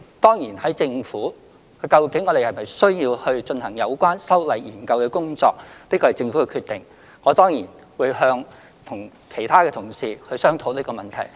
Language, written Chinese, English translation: Cantonese, 當然，在政府內，究竟是否需要進行有關修例的研究工作，這是政府的決定，我當然會與其他同事商討這個問題。, Certainly in the Government whether it is necessary to conduct a study on amending the relevant legislation is the decision of the Government and I will surely discuss the issue with other colleagues